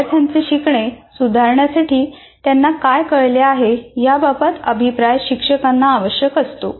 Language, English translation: Marathi, And through this feedback, the teacher requires actually this feedback on students understanding to help improve their learning